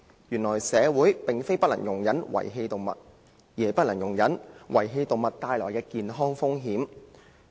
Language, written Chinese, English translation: Cantonese, 由此可見，社會不能容忍的並非遺棄動物，而是被遺棄動物所帶來的健康風險。, From this we can see that what the community cannot tolerate is not the abandonment of animals but the health risks posed by abandoned animals